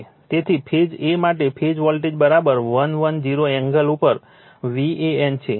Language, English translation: Gujarati, So, for phase a, phase voltage is equal to V an at the 110 angle, this is given